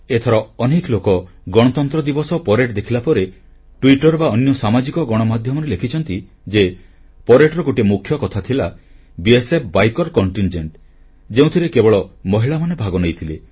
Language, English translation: Odia, This time, after watching the Republic Day Parade, many people wrote on Twitter and other social media that a major highlight of the parade was the BSF biker contingent comprising women participants